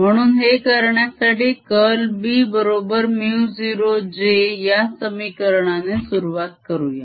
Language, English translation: Marathi, so to do this, let us start with the equation: curl of b is equal to mu naught j